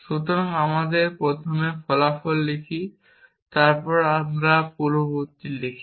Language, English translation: Bengali, So, we write the consequent first and then we write the antecedent